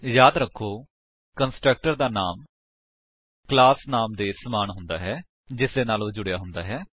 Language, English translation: Punjabi, Remember, the Constructor has the same name as the class name to which it belongs